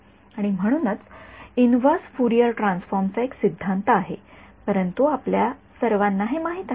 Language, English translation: Marathi, And so, there is some theory of a inverse Fourier transform, but you all know that